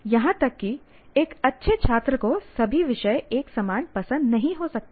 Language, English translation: Hindi, Even a good student may not have equal liking for all subjects